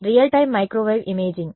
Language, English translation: Telugu, Real time microwave imaging